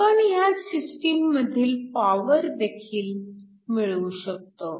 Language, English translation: Marathi, We can also calculate the power in this system